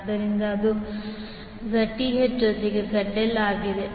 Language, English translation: Kannada, So, that is Zth plus ZL